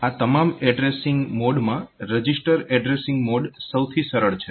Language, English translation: Gujarati, The simplest of all these addressing modes is the register addressing mode